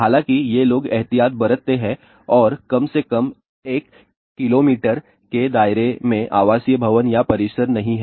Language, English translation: Hindi, However, these people take precaution and at least within a 1 kilometer radius there is a no residential building or complex